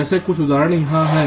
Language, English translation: Hindi, this is one example